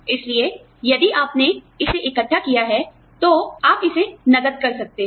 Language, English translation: Hindi, So, if you have accrued it, you know, you can encash it